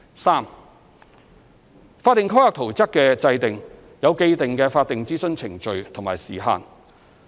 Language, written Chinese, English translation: Cantonese, 三法定規劃圖則的制訂有既定的法定諮詢程序和時限。, 3 There are established statutory consultation procedures and time frames regarding the making of statutory town plans